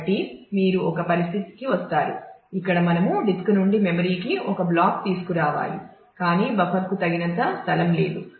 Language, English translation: Telugu, So, you will come to a situation, where we need to bring a block from the disk to the memory, but the buffer does not have enough space